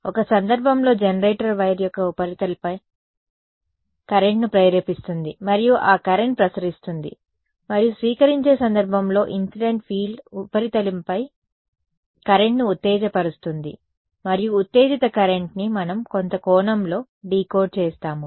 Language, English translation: Telugu, In one case the generator induces the current on the surface of the wire and then that current radiates and in the receiving case incident field comes excites a current on the surface and that current which has been excited is what we decode in some sense